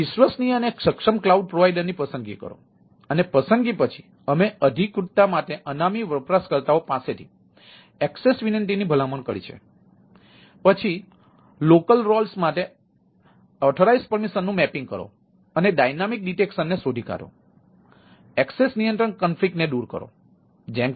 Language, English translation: Gujarati, so one is that selection of the trustworthy and competent cloud provider and after the selection, we have the recommending access request from the anonymous users for authorization